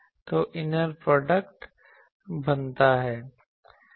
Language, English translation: Hindi, So, inner product is formed